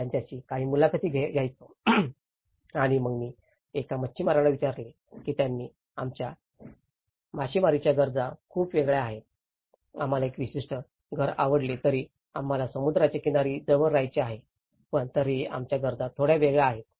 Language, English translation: Marathi, I used to take some interviews with them and then I asked a fisherman why, they said our fishing needs are very different, we want to stay close to the seashore though we like a particular house but still our needs are little different